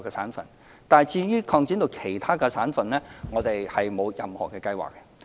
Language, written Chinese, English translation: Cantonese, 不過，對於將安排擴展至其他省份，我們沒有任何計劃。, Yet we have no plan to extend the arrangement to other provinces